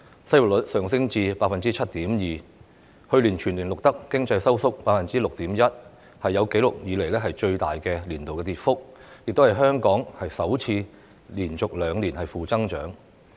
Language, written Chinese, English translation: Cantonese, 失業率上升至 7.2%， 去年全年更錄得 6.1% 的經濟收縮，是有紀錄以來最大的年度跌幅，亦是香港首次連續兩年負增長。, The unemployment rate has climbed to 7.2 % . The economy even contracted by 6.1 % last year as a whole the largest annual decline on record . It is also the first time for Hong Kong to register two consecutive years of negative growth